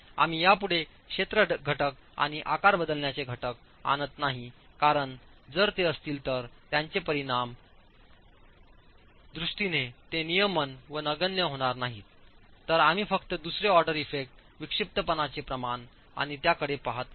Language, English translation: Marathi, We are not bringing in the area factor and the shape modification factor anymore because those are not going to be governing and are negligible in terms of their effect if any and therefore we are only going to be looking at the second order effects, eccentricity ratio and the slendinous ratio